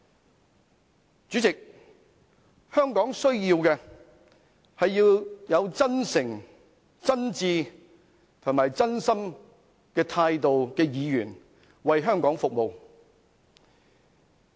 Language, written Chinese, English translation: Cantonese, 代理主席，香港需要的是抱持真誠、真摯和真心態度的議員為香港服務。, Deputy President Hong Kong needs Members who serve Hong Kong sincerely earnestly and truthfully